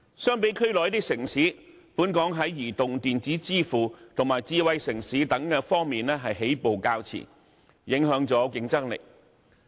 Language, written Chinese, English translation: Cantonese, 相比區內一些城市，本港在移動電子支付及智慧城市等方面起步較遲，影響了競爭力。, Compared with some cities in the region Hong Kong has been a late starter in such areas as mobile electronic payments and smart city development thereby affecting its competitiveness